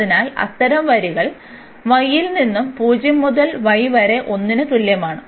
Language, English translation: Malayalam, So, y goes from 0 to 1